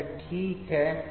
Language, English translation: Hindi, So, here it is ok